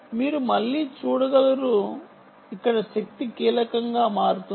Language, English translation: Telugu, you can see again, power, um becomes critical here, right